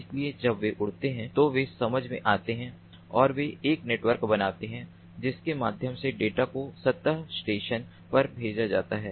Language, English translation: Hindi, so when they fly, they sense and they form a network through which the data are ah sent to the surface station